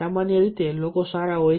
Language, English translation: Gujarati, generally, people are nice, generally